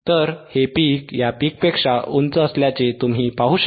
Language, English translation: Marathi, So, you can see this peak is higher than the this peak right